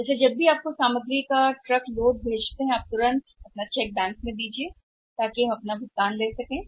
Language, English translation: Hindi, So, that when we send you the truck load of material immediately will represent your check in the bank and we collect our payment